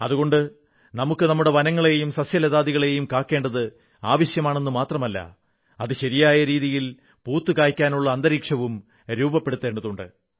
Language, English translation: Malayalam, Therefore, we need to not only conserve our forests, flora and fauna, but also create an environment wherein they can flourish properly